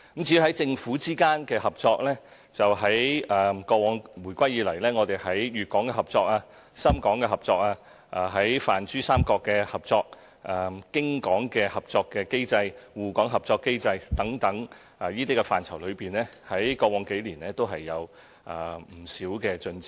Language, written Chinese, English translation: Cantonese, 至於政府之間的合作，回歸以來，我們在粵港合作、深港合作、與泛珠三角的合作、京港合作、滬港合作等機制中，過往數年也有不少進展。, As regards cooperation between governments after the reunification much progress has been made over the past few years under our mechanisms of collaboration with Guangdong Shenzhen the Pan - Pearl River Delta Region Beijing Shanghai etc